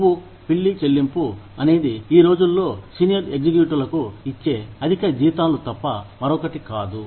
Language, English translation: Telugu, Fat cat pay is nothing but, the exorbitant salaries, that are given to senior executives, these days